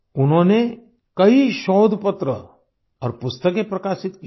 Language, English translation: Hindi, He has published many research papers and books